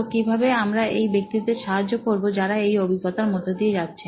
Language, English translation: Bengali, So, how can we help these guys these people who are going through this experience